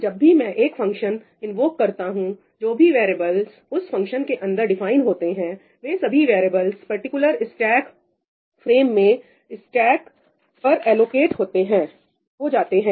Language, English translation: Hindi, So, whenever I invoke a function, whatever variables are defined inside that function, all those variables go into the stack; memory for them is allocated on the stack, in that particular stack frame